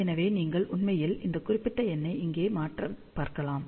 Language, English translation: Tamil, So, you can actually see that you just change this particular number over here